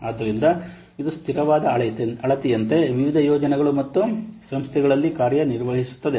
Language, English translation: Kannada, So it acts as a consistent measure among different projects and organizations